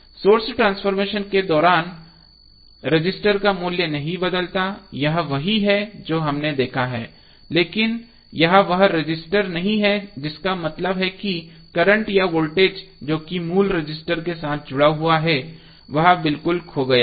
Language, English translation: Hindi, The resistor value does not change during the source transformation this is what we have seen however it is not the same resistor that means that, the current of voltage which are associated with the original resistor are irretrievably lost